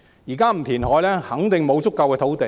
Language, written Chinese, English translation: Cantonese, 現在不填海，肯定沒有足夠土地。, If we do not reclaim now we definitely will not have sufficient land